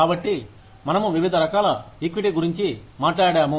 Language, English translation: Telugu, So, we talked about, different kinds of equity